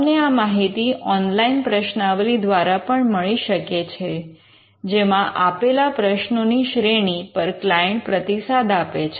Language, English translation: Gujarati, You could also get your information through an online questionnaire, where a series of questions are asked, based on the reply given by the client